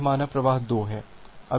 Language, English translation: Hindi, This is say flow 2